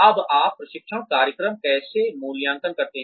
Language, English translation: Hindi, Now, how do you evaluate, training programs